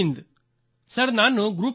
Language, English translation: Kannada, Sir I am Group Captain A